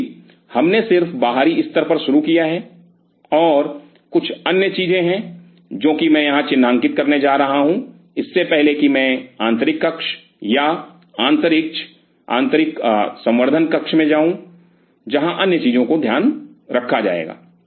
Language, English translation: Hindi, Because we have just started on the outer layer and there are few other things, what I am going to highlight here before I move into the inner chamber or the inner culture room, where other things will be taking care